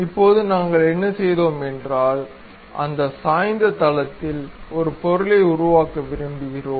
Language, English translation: Tamil, Now, what we have done is, because we would like to construct an object on that inclined plane